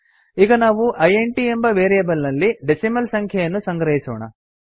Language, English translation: Kannada, Now let us store a decimal number in a int variable